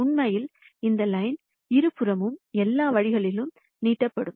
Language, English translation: Tamil, In reality this line would extend all the way on both sides